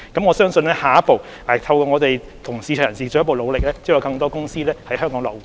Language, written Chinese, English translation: Cantonese, 我相信下一步，透過我們和市場人士進一步努力，將有更多保險公司在香港落戶。, I believe that with our further efforts jointly made with market participants in the next step more insurance companies will set up business in Hong Kong